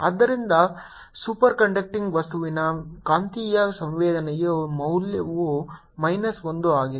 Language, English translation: Kannada, so the value of magnetic susceptibility of a superconducting material is minus one